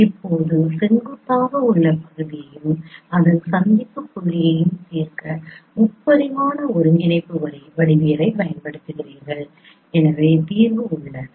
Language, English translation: Tamil, Now you apply the three dimensional coordinate geometry to solve the perpendicular segment and its midpoint